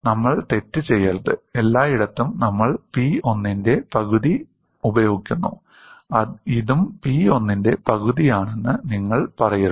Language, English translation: Malayalam, We should not make a mistake, everywhere we use half of P 1, you should not say that this is also half of P1; it is actually P1 into d v